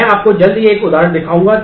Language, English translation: Hindi, I will just show you an example soon so that